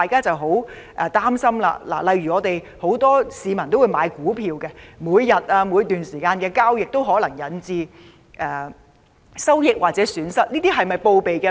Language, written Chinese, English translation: Cantonese, 我們擔心，很多市民有買賣股票，而每天或在某段時間內進行交易時可能引致的收益或損失，是否需要備案呢？, Many people buy and sell stocks and trading on a daily basis or at certain periods may incur gains or losses; do they have to file records on such transactions?